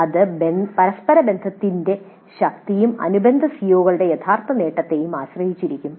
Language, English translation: Malayalam, That would depend both on the correlation strength as well as the actual attainment level of the related COs